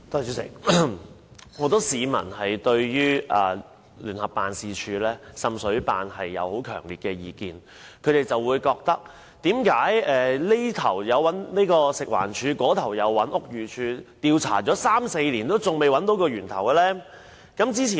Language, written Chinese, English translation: Cantonese, 主席，很多市民對聯辦處有強烈意見，他們亦不明白，食環署及屋宇署花三四年進行調查，為何還未找到滲水源頭？, President many people have strong views on JO and they do not understand why FEHD and BD have failed to identify the source of seepage after they have spent three to four years on conducting investigations